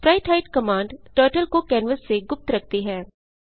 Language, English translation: Hindi, spritehide command hides Turtle from canvas